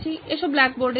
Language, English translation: Bengali, Let’s go to the blackboard